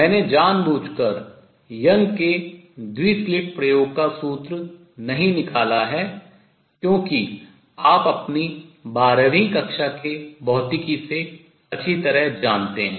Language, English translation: Hindi, I have deliberately not derive the formula for Young’s double slit experiment, because that you know well from your twelfth grade physics